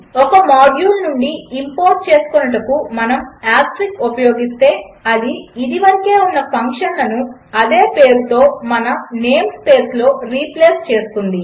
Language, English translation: Telugu, If we use asterisk to import from a particular module then it will replace any existing functions with the same name in our name space